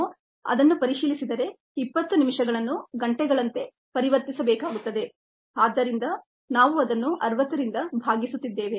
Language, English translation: Kannada, ok, if we check that, we will need to convert the twenty minutes into hours and therefore we are dividing that by sixty